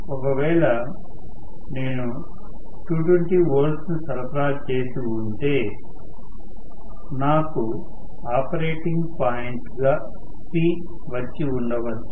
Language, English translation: Telugu, If I had applied 220 volts, maybe I would have gotten the operating point as P